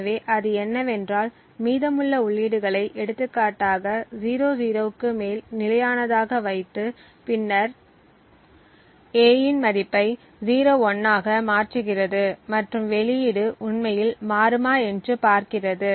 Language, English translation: Tamil, So, what it does is that it keeps the remaining inputs constant for example 00 over here and then changes the value of A to 01 and sees if the output actually changes